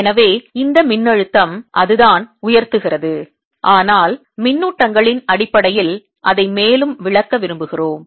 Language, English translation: Tamil, alright, so this is the potential that it gives rise to, but we want to interpret it further in terms of charges